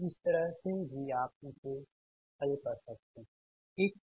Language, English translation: Hindi, so that way also, you can, you can solve it right